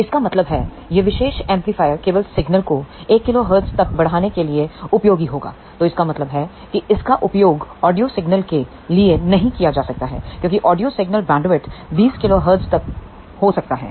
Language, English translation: Hindi, So, that means, this particular amplifier will be only useful to amplify the signal up to 1 kilohertz; so, that means, it cannot be used for audio signal because audio signal bandwidth can be up to 20 kilohertz